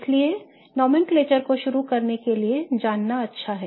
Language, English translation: Hindi, So, that's why it's good to know this nomenclature to begin with